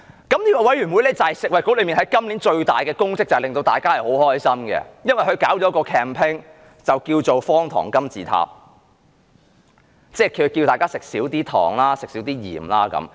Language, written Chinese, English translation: Cantonese, 這個委員會就是食物及衞生局今年最大的工作，令大家很開心，因為它舉辦了一項 campaign， 叫"方糖金字塔"，呼籲大家少吃糖和鹽。, This Committee is the biggest task in the Bureau and it makes people happy with the campaign it has organized the sugar cube pyramid which asks people to consume less sugar and salt